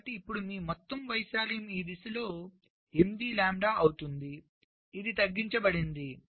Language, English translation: Telugu, so now your total area will be eight lambda this direction and eight lambda this direction